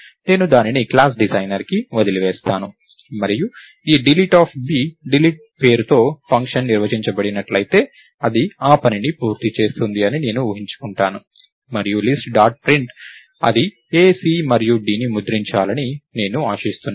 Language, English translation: Telugu, I leave it to the designer of the class and this delete of b if there is a function defined by the name Delete, I will assume that that gets done and list dot Print I will expect it to print a, c and d